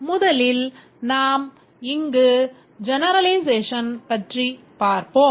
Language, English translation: Tamil, First, let's look at the generalization